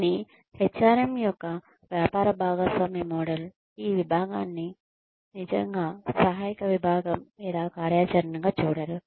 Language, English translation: Telugu, But, business partner model of HRM, sees this department as, not really as an assistive department or activity